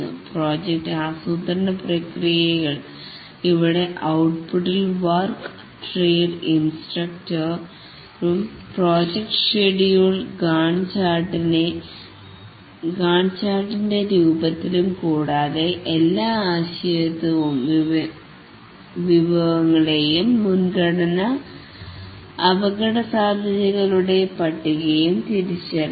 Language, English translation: Malayalam, The project planning processes here the output include work breakdown structure, the project schedule in the form of Gantchard and identification of all dependencies and resources and a list of prioritized risks